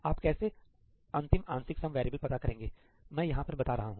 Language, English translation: Hindi, How do you know what to do the final partial sum variables, that’s what I am specifying here plus